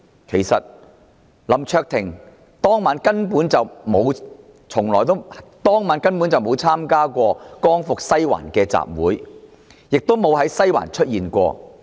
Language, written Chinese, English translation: Cantonese, 其實，林卓廷議員當晚根本沒有參加"光復西環"的集會，亦不曾在西環出現。, Actually Mr LAM Cheuk - ting was not a participant of the Liberate Sai Wan rally that evening and he was never present in Sai Wan